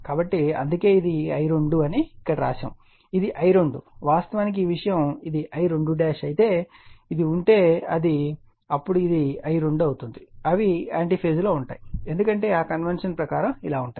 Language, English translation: Telugu, Suppose if it is there if this is my if this is my I 2 dash then your what you call then this one this one will be my I 2 they will be in anti phase, right because of thatconvention